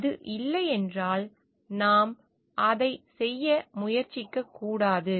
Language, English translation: Tamil, If it is not, then we should not attempt to do it